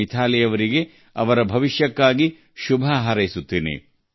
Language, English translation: Kannada, I wish Mithali all the very best for her future